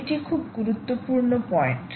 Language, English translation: Bengali, this is a very important point